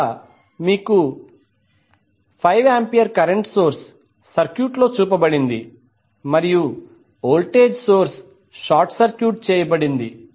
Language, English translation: Telugu, Here you have 5 ampere current source back in the circuit and the voltage source is short circuited